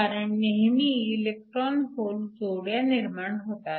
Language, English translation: Marathi, So, These are the number of electron hole pairs that are generated